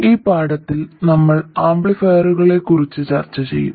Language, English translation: Malayalam, In this lesson we will discuss amplifiers